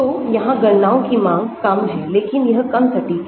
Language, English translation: Hindi, So, these calculations are less demanding but less accurate